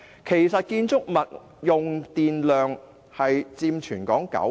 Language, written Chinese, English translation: Cantonese, 其實，建築物用電量佔全港九成。, In fact buildings account for 90 % of Hong Kongs electricity consumption